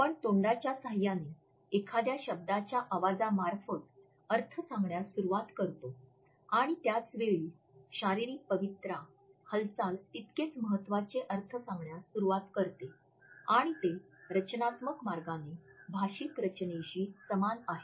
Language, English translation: Marathi, While we articulate the sounds of a word with the help of our voice and mouth, the body also simultaneously starts to convey with postures gestures and motion and equally important interpretation of the word and it does so, in a structured way which is analogous to the verbally structure